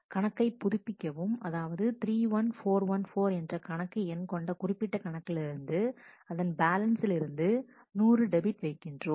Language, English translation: Tamil, Update an account, where the account id is 31414 a specific account and balance is debited by 100